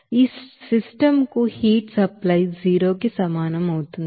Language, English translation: Telugu, Heat supply to this system that will be equals to 0